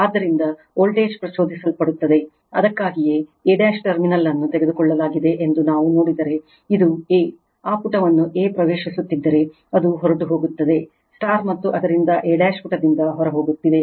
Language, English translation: Kannada, Therefore, voltage will be induced, so that is why, if we look in to that from a dash say terminal is taken as a, this is the, it is leaving if a is entering into that page, and therefore a dash is leaving the page right